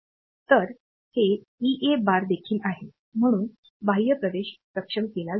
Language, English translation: Marathi, So, this is also EA bar; so, external access enable